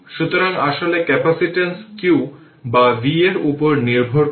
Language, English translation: Bengali, So, in fact capacitance it does not depend on q or v right